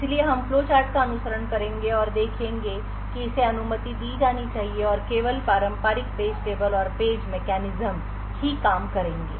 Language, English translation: Hindi, So, we will follow the flowchart and see that this should be permitted and only the traditional page tables and page mechanisms would work